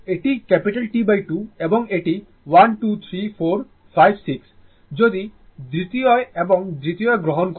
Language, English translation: Bengali, This is T by 2 and this is the this is 1, 2, 3, 4, 5, 6 if you take in second and second